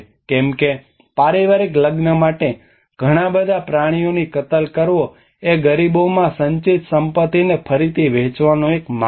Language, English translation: Gujarati, Because the butchering of so many animals for a family wedding is a way of redistributing the accumulated wealth to the poor